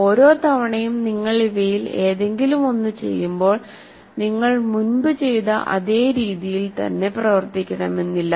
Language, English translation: Malayalam, Possibly each time you do any of these things, you are not necessarily doing exactly the same way